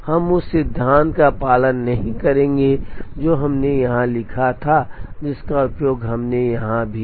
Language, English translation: Hindi, We will not follow that principle which we wrote here which we also used here